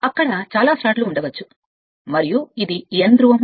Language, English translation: Telugu, There may be many slots are there and this is your N pole